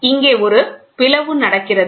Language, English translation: Tamil, So, there is a split happening